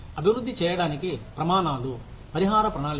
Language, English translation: Telugu, How do we develop a compensation plan